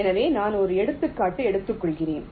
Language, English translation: Tamil, so i am taking an example